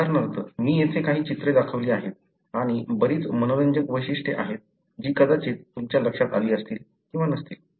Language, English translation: Marathi, For example, I have shown some of the pictures here and there are many interesting features that you may have or may not have noticed